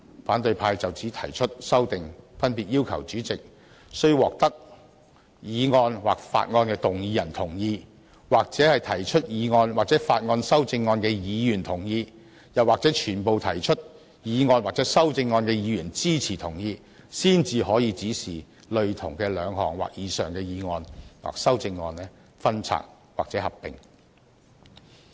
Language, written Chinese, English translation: Cantonese, 反對派就此提出的修訂，分別要求主席須獲得議案或法案動議人同意、或提出議案或法案修正案的議員同意，又或所有提出議案或修正案的議員支持同意，才可以指示類同的兩項或以上的議案或修正案予以分拆或合併。, Opposition Members proposed amendments to my proposals and demanded that the President can only direct two or more motions or amendments considered by him to be cognate to be disjoined or combined with the consent of the mover of the motion or bill or the consent of the mover of an amendment to the motion or bill or the support and consent of all the Members moving the motions or amendments